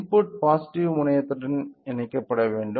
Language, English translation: Tamil, The input should be connected to the positive terminal